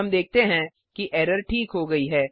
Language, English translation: Hindi, We see that the error is resolved